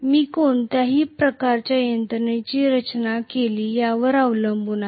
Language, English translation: Marathi, It depends upon what kind of mechanism I have designed